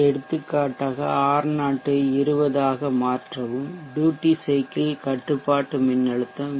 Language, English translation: Tamil, For example, alter R0 to 20 and the duty cycle control voltage VC is till 0